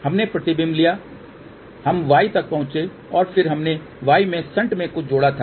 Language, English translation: Hindi, We took the reflection, we reach to y and then we added something in y which was shunt